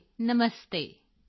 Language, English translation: Punjabi, Radhe Radhe, Namaste